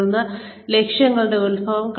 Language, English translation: Malayalam, And then, derivation of objectives